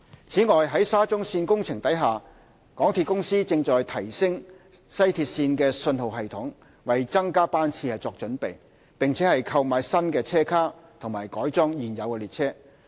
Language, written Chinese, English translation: Cantonese, 此外，在沙中線工程下，港鐵公司正提升西鐵線的信號系統，為增加班次作準備，並購買新車卡和改裝現有列車。, Besides under the SCL project the MTR Corporation Limited MTRCL is upgrading the signalling system of the WRL to prepare for the increase in train frequency . MTRCL is also procuring new train cars and modifying the existing trains